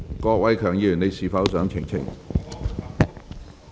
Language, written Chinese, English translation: Cantonese, 郭偉强議員，你是否想澄清？, Mr KWOK Wai - keung do you wish to elucidate?